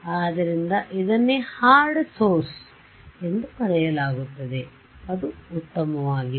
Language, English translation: Kannada, So, this is what would be called a hard source right is it fine